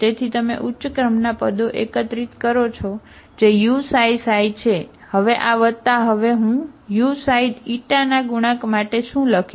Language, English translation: Gujarati, So you collect the terms of higher order that is u xi xi, now this this plus I will write now what I have for the coefficient of u xi Eta